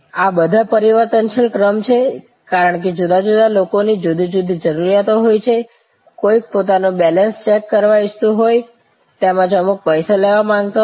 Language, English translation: Gujarati, These are all variable sequence, because different people have different needs, somebody may be wanting to check their balance, somebody may want to check balance as well as draw some money